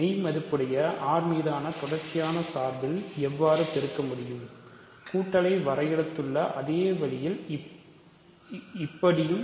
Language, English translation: Tamil, So, how do you multiply to real valued continuous functions on R real numbers, the exactly the same way; so, let us say that we defined addition